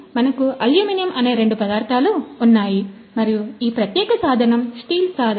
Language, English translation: Telugu, So, we have two materials which are aluminum and this particular tool is a steel tool